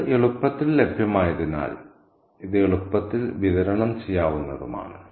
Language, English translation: Malayalam, So, since it is easily available, it is also easily dispensable